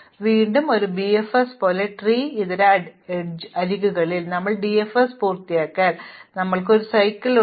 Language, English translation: Malayalam, So, once again just like in BFS, once we have finished DFS if there are non tree edges, then we have a cycle